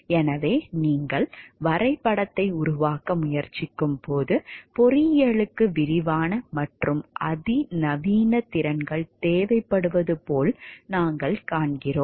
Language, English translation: Tamil, So, when you try to map we find like engineering requires extensive and sophisticated skills